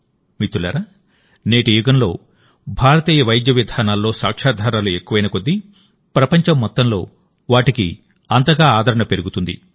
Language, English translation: Telugu, Friends, In today's era, the more evidencebased Indian medical systems are, the more their acceptance will increase in the whole world